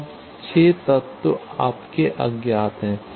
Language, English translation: Hindi, So, it has now 6 unknowns